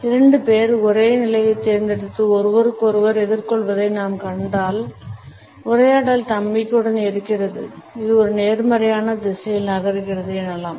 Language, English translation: Tamil, If we find two people opting for the same position and facing each other the dialogue is confident and yet it moves in a positive direction